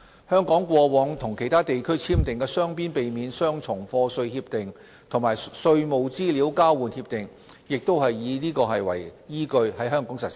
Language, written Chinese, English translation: Cantonese, 香港過往與其他地區簽訂的雙邊避免雙重課稅協定和稅務資料交換協定亦是以此為依據在香港實施。, This is also the basis on which the bilateral comprehensive avoidance of double taxation agreements and tax information exchange agreements previously signed by Hong Kong with other territories are given effect